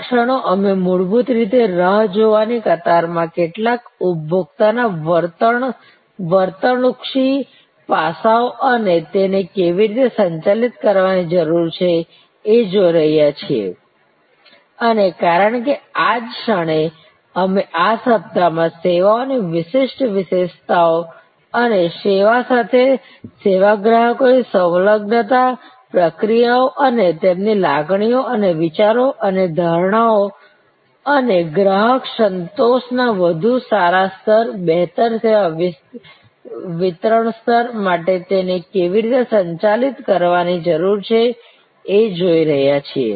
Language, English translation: Gujarati, At this moment, we are basically looking at some consumer behavioral aspects in waiting line and how that needs to be manage, because right at this moment we are looking at in this week, the unique characteristics of services and the service consumers engagement to the service processes and their feeling and thoughts and perceptions and how those need to be manage for a better customer satisfaction level, better service delivery level